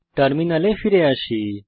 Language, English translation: Bengali, Come back to terminal